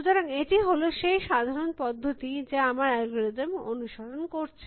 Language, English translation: Bengali, So, this is the general process that our search algorithm is doing to follow